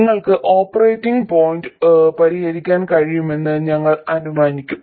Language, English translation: Malayalam, We will assume that you will be able to solve for the operating point